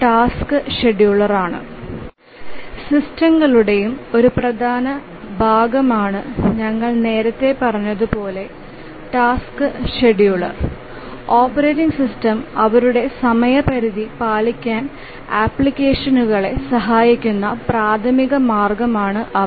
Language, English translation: Malayalam, And we have already said that the task schedulers are important part of all real time operating systems and they are the primary means by which the operating system helps the applications to meet their deadlines